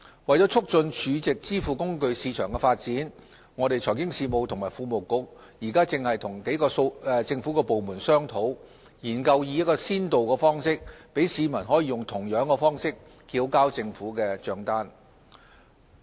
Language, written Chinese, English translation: Cantonese, 為促進儲值支付工具市場的發展，財經事務及庫務局正與數個政府部門商討，研究以先導方式，讓市民用同樣的方式繳交政府帳單。, To facilitate the development of the SVF market the Financial Services and the Treasury Bureau is exploring with a number of government departments on a pilot scheme under which the public can pay government bills in the same manner